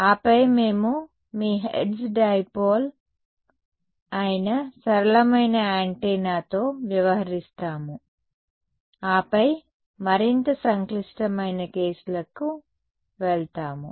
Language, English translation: Telugu, And then we will deal with the simplest antenna which is your hertz dipole and then go to more complicated cases right